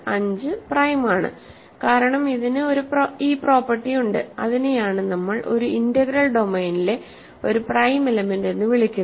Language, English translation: Malayalam, 5 is prime because it has this property, that is what we are calling a prime element in an integral domain